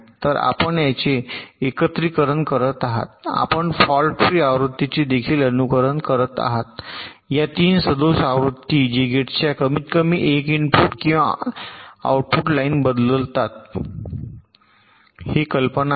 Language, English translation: Marathi, you are simulating the fault free version as well as this three faulty versions which change at least one input or output lines of the gate